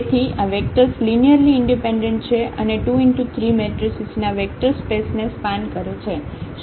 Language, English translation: Gujarati, So, these vectors are linearly independent and span the vector space of 2 by 3 matrices